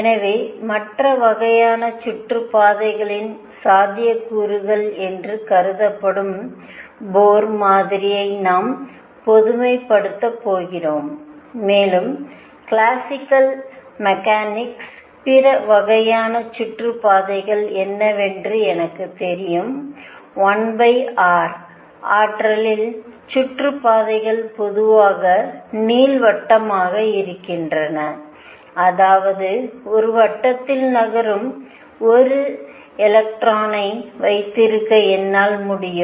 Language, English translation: Tamil, So, we are going to generalize Bohr model to considered possibilities of other kinds of orbits and what are the other kinds of orbits from classical mechanics I know that in a one over r potential the orbits are elliptical in general; that means, what I can have is I can have an electron moving in a circle